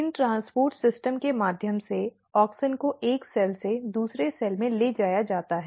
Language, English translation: Hindi, So, through these transport systems auxins are being transported from one cell to another cells